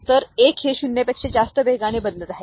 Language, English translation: Marathi, So, 1 this 1 is changing faster than the 0 that is suppose to change to 1